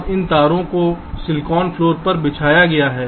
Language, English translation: Hindi, now this wires are laid out on the silicon floor